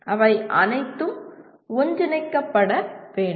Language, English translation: Tamil, They will all have to be integrated together